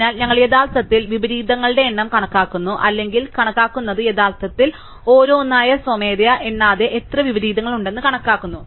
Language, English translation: Malayalam, So, we are actually counting the number of inversions or estimating or actually calculating how many inversions are there without actually counting them manually one by one